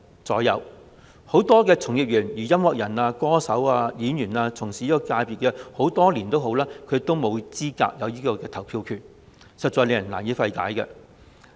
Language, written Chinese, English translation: Cantonese, 該界別很多從業員，例如音樂人、歌手和演員等，從事這產業的工作多年，但沒有投票資格和權利，實在令人難以理解。, Many practitioners such as musicians singers and actors have been working in the industry for years yet they have neither the eligibility nor the right to vote . This is indeed perplexing